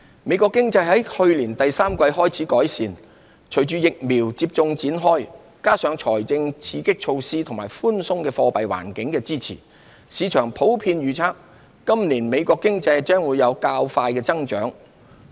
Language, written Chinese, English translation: Cantonese, 美國經濟自去年第三季開始改善，隨着疫苗接種開展，加上財政刺激措施和寬鬆貨幣環境的支持，市場普遍預測今年美國經濟將有較快增長。, The United States US economy has begun to pick up since the third quarter of last year . With the rollout of a vaccination programme and the support of fiscal stimulus measures as well as the easy monetary environment market forecasts generally point to faster economic growth in US this year